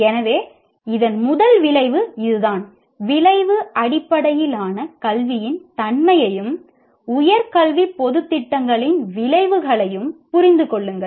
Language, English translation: Tamil, So that is the first outcome of this is understand the nature of outcome based education and outcomes of higher educational, higher education general programs